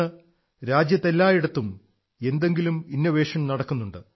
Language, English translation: Malayalam, Today, throughout the country, innovation is underway in some field or the other